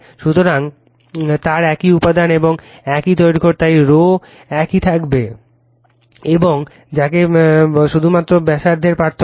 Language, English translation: Bengali, So, they are of the same material and same length right, so rho will remain same and your what you call only radius will be difference